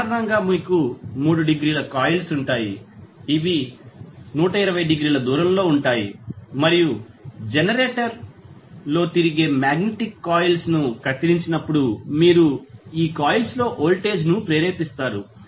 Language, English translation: Telugu, So, basically you will have 3 sets of coils which are 120 degree apart and when the magnet which is rotating in the generator will cut the coils you will get the voltage induced in these coils